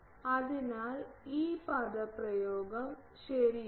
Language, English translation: Malayalam, So, this expression is correct